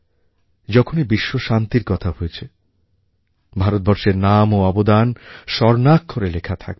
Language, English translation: Bengali, Wherever there will be a talk of world peace, India's name and contribution will be written in golden letters